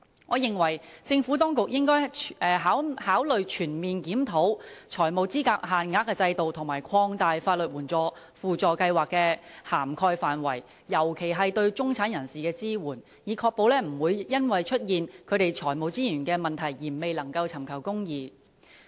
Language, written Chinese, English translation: Cantonese, 我認為政府當局應該考慮全面檢討財務資格限額的制度，並擴大法律援助輔助計劃的涵蓋範圍，尤其是對中產人士的支援，以確保他們不會因為財務資源的問題而未能尋求公義。, In my view the Administration should consider conducting a comprehensive review of the financial eligibility limit system and expanding the scope of SLAS particularly the support for the middle class so as to ensure that they will not be denied access to justice due to the lack of financial resources